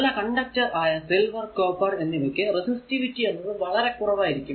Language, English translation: Malayalam, So, good conductors such as copper and aluminum have low resistivity